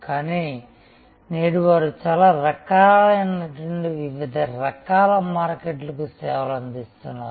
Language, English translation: Telugu, But, today they are serving a very wide range of different types of markets